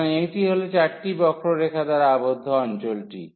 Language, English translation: Bengali, So, these are the 4 curves